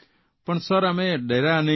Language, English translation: Gujarati, But we didn't fear